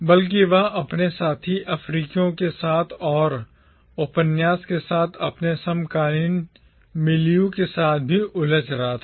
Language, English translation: Hindi, Rather, he was also engaging with his fellow Africans and with his contemporary milieu with the novel